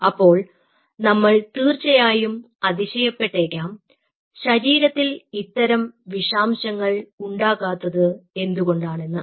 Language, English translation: Malayalam, now we might wonder how in our body that toxicity doesnt happen